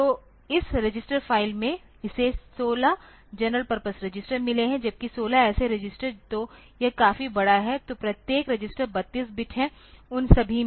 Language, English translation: Hindi, So, this register file it has got 16 general purpose registers whereas, 16 such registers so, that that is quite big so, each register is 32 bit in all that